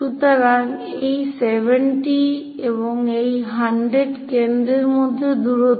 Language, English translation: Bengali, So, this one is 70, and this one is 100, the distance between foci